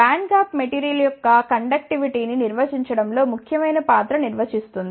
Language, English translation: Telugu, The band gap defines a significant role in defining the conductivity of the material